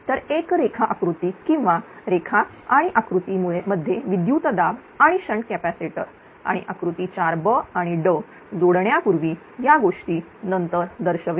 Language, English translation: Marathi, So, the single line diagram or line and voltage to the diagram and before the addition of the shunt capacitor and figure 4 b and d shows them after the this thing